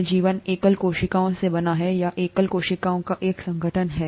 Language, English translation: Hindi, So life is made up of either single cells, or an organization of single cells